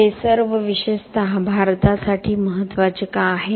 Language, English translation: Marathi, Why is all this important for India in particular